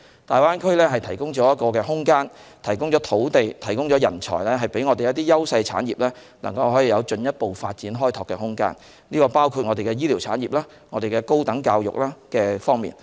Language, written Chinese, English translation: Cantonese, 大灣區提供一個空間，供應土地、人才，讓我們的優勢產業能有進一步發展和開拓的空間，這包括了醫療產業、高等教育等方面。, The Greater Bay Area can provide space land and talents so that our industries enjoying competitive edge including health care industry and higher education can have room for further development and exploration